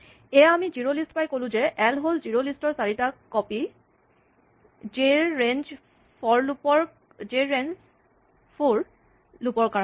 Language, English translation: Assamese, There we have the zero lists, and then, we say, l is 4 copies of zerolists, for j in range 4